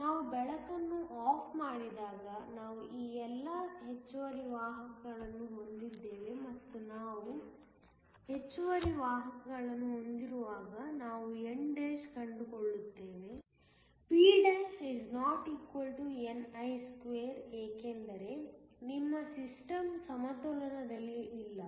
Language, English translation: Kannada, When we turn off the light, we have all of these excess carriers and when we have excess carriers we will find that n′, p′ ≠ ni2 because, your system is not in equilibrium